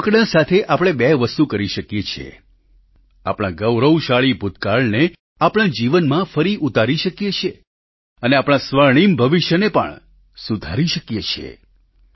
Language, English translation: Gujarati, We can do two things through toys bring back the glorious past in our lives and also spruce up our golden future